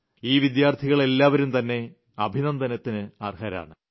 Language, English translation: Malayalam, All these students deserve hearty congratulations